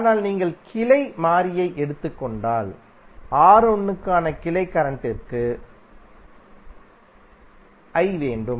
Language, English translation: Tamil, But if you take the branch variable, you will have 1 for branch current for R1